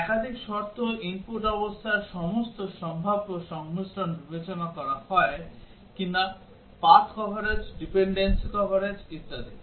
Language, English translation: Bengali, Multiple condition, whether all possible combinations of the input conditions are considered, path coverage, dependency coverage and so on